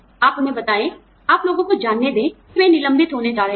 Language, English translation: Hindi, You tell them, you know, you let people know that, they are going to be laid off